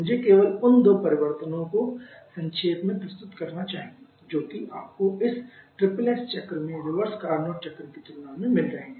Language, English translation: Hindi, Let me just summarise the two changes that you are having in this SSS cycle compared to the reverse Carnot cycle